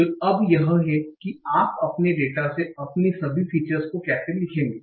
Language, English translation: Hindi, So now that's how you will write down all your features from your data